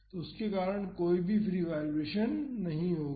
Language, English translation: Hindi, So, because of that there would not be any free vibration